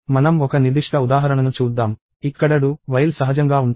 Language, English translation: Telugu, So, let us look at a specific example, where do while is natural